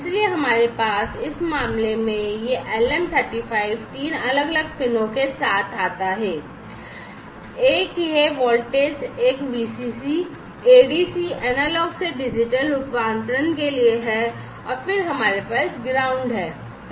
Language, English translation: Hindi, So, we have in this case this LM 35 comes with three different pins one is this voltage one the VCC, ADC is for Analog to Digital Conversion, and then we have the ground